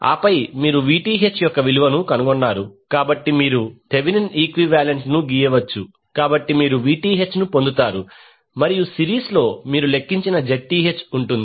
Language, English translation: Telugu, And then you have found the value of Vth so you can simply draw the Thevenin equivalent so you will get Vth and in series you will have Zth which you have calculated